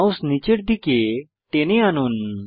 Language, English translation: Bengali, Drag your mouse downwards